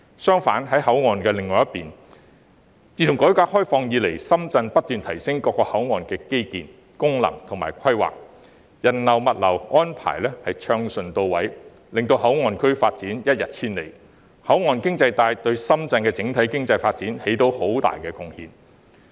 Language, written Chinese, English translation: Cantonese, 相反，在口岸的另一邊，自改革開放以來，深圳不斷提升各口岸的基建、功能及規劃，人流物流安排順暢到位，令口岸區發展一日千里，口岸經濟帶對深圳的整體經濟發展帶來很大的貢獻。, Conversely on the opposite shore since the reform and opening up Shenzhen has kept improving the infrastructure operation and planning of various ports to facilitate the flow of people and goods thereby resulting in the rapid development of the port areas . The port economy belt has made a significant contribution to the overall economic development of Shenzhen